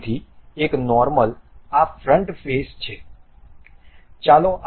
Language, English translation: Gujarati, So, one of the normal is this front face